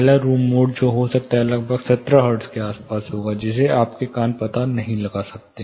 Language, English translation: Hindi, The room mode probably the first mode which can happen would be somewhere around 17 hertz, which is more or less, which your ear cannot detect